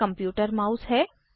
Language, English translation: Hindi, This is the computer mouse